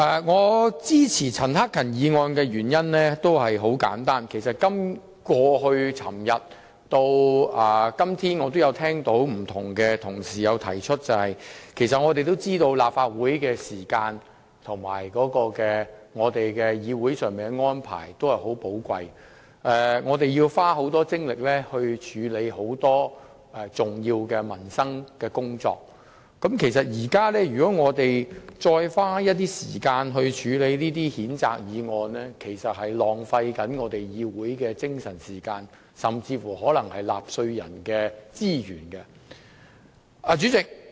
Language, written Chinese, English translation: Cantonese, 我支持陳克勤議員的議案的原因很簡單，正如多位議員也曾於這兩天發言時提及的一點，就是我們明白立法會的時間十分寶貴，會議安排緊密，並且同事須耗費許多精力處理關乎民生等的重要工作，如在此際花時間處理譴責議案，便是浪費議會的時間和資源，亦浪費了納稅人的金錢。, As mentioned by many Members who have spoken in these two days we understand that the time of the Council is very precious . Meetings are arranged in tight schedule and colleagues have to spend much effort on important tasks related to peoples livelihood . Taking time to deal with the censure motion at this moment is a waste of time and resources of the Council and the taxpayers money